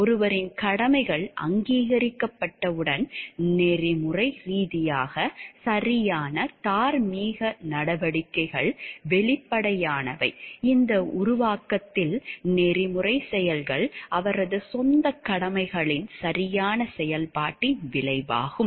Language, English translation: Tamil, Once ones duties are recognized the ethically correct moral actions are obvious, in this formulation ethical acts as a result of proper performance of ones own duties